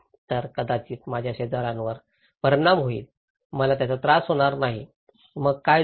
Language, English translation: Marathi, So, maybe my neighbours will be affected, I will not be affected, so what happened